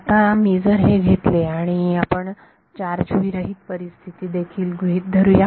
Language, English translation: Marathi, Now, if I take and let us also assume a charge free situation